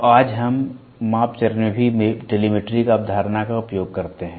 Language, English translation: Hindi, So, today we also use telemetry concept in the measurement stage